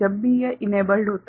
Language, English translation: Hindi, Whenever it is enabled